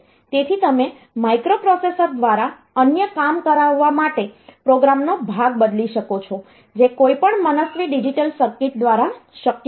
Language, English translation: Gujarati, So, you can change the program part to get some other job done by the microprocessor which is not possible by any arbitrary digital circuit